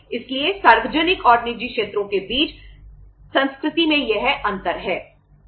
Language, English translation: Hindi, So this is the difference in the culture between the public and the private sectors